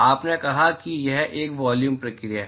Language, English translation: Hindi, You said it is a volume process